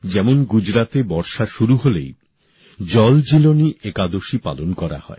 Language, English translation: Bengali, For example, when it starts raining in Gujarat, JalJeelani Ekadashi is celebrated there